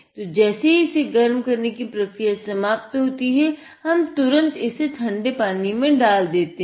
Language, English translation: Hindi, So, now what we do is, once heating is done, we immediately drop it in cold water